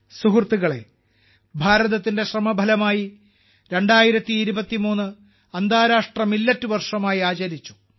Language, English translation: Malayalam, Friends, through India's efforts, 2023 was celebrated as International Year of Millets